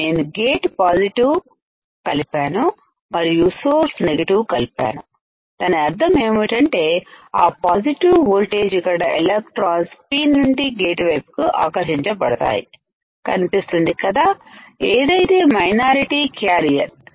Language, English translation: Telugu, I have applied positive to gate and I have applied negative to source that means, the positive voltage here will cause the electrons from a P type to go towards a gate right which is a minority carrier